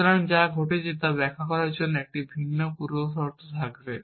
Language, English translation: Bengali, So, that will have a different precondition just to illustrate what is happening